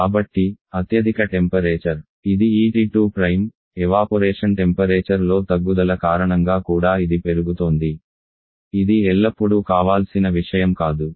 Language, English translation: Telugu, So, highest temperature, which is this T2 Prime that is also increasing because of a reduction in the Evaporation temperature which is also not always the desirable think